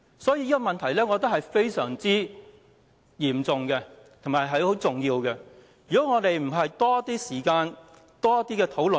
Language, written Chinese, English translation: Cantonese, 所以，我覺得這個問題非常重要，影響將非常深遠，必須多花些時間討論。, So I think this issue is very important and more time must be spent on discussions given the far - reaching consequences